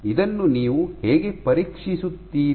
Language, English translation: Kannada, So, how would you test this